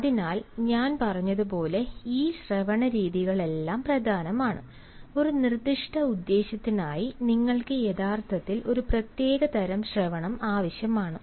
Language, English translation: Malayalam, so all these forms of listening, as i said, you actually require a specific kind of listening for a specific purpose